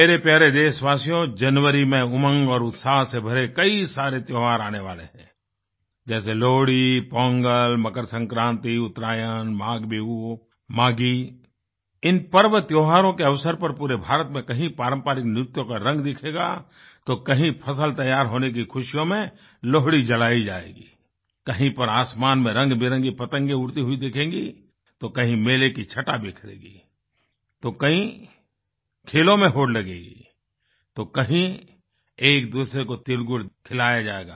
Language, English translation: Hindi, My dear countrymen, the month of January ushers in many festivals filled with hope & joy such as Lohri, Pongal, MakrSankranti, Uttarayan, MaghBihu, Maaghi; on the occasion of these festivities, the length & breadth of India will be replete… with the verve of traditional dances at places, the embers of Lohri symbolizing the joy of a bountiful harvest at others